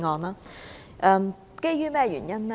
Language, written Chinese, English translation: Cantonese, 這是基於甚麼原因呢？, So what are our grounds for supporting it?